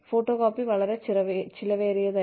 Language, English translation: Malayalam, Photocopying was very expensive